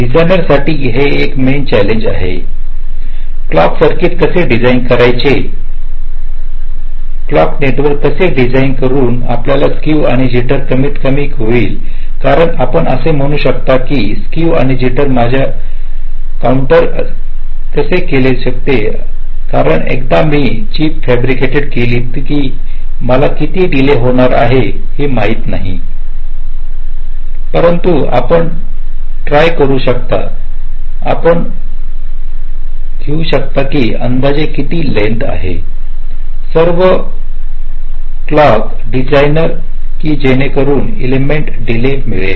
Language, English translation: Marathi, so one of the main challenge for the designer is is how to design the clock circuit, how to design the clock network such that your skew and jitter are minimised, because you can say that well, skew and jitter, how this can be under my control, because once i fabricated a chip, i do not know how much delay it will be taking, but at least you can try